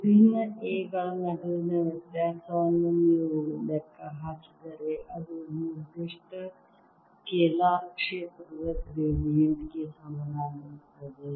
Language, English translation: Kannada, if you calculate the difference between the different a's again, that come out to be equal to gradient of certain scalar field